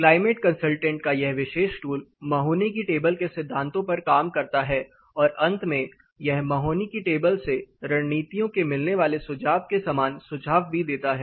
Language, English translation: Hindi, Actually this particular tool climate consultant works on the principles of Mahoney's table and finally, it also suggests you strategies as similar to what you get in Mahoney's table